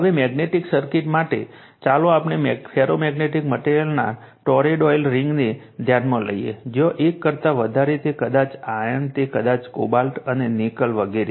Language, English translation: Gujarati, Now, magnetic circuits, now, you consider let us consider a toroidal ring of ferromagnetic material, where mu greater than 1, it maybe iron, it maybe cobalt, and nickel etc right